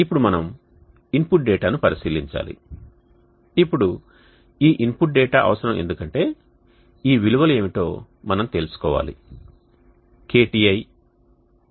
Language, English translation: Telugu, Now we need to look into the input data now this input data is needed because we need to know the are these values what is KTi